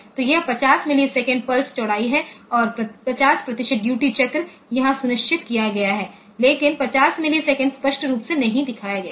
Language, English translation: Hindi, So, it is 50 millisecond pulse width and 50 percent duty cycle, 50 percent duty cycle is ensured here, but 50 millisecond is not shown explicitly